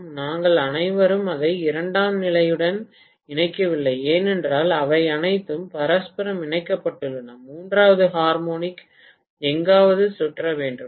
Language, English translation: Tamil, We are not connecting it to the secondary at all because they are all mutually coupled, the third harmonic has to circulate somewhere